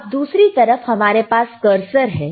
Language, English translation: Hindi, Now other than that, we have cursor, right